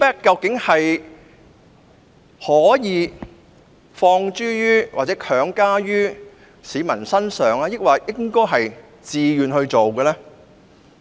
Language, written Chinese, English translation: Cantonese, 究竟"尊重"可否強加於市民身上，抑或必須出於自願？, Is it feasible to impose respect on members of the public or should members of the public pay respect to the national anthem of their own accord?